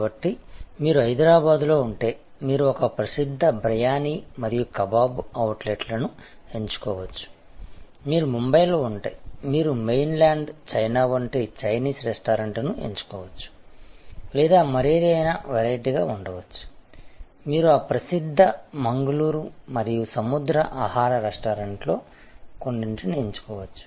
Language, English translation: Telugu, So, if you are in Hyderabad, you can choose a famous Briyani and Kabab outlet, if you are in Mumbai, you can choose Chinese restaurant like Mainland China or any other variety, you could choose some of those famous Mangalorean and sea food restaurants and so on